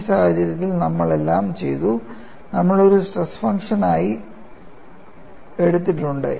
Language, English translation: Malayalam, For all of them, you would have a form of stress function